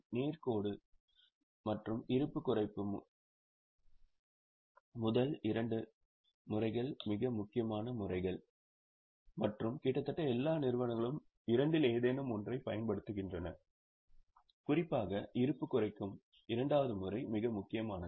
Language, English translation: Tamil, The first two methods that is straight line and reducing balance are the most important methods and almost all companies use any one of the two, particularly the second method that is reducing balance is most important